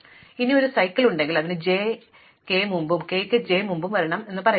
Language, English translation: Malayalam, Now, if I have a cycle it says that j must come before k and k must come before j